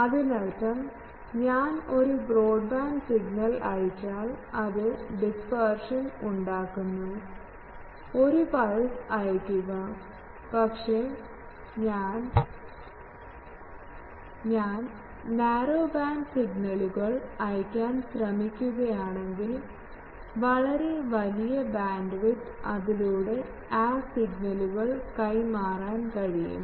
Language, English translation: Malayalam, So, it is a dispersive array; that means, there are dispersion if it, if I try to send a pulse, but if I try to send narrow band signals, then over a very large bandwidth it can pass that signals